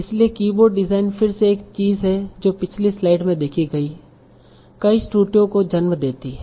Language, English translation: Hindi, So keyboard design is again one thing that gives rise to many of the errors that we have seen in the previous slide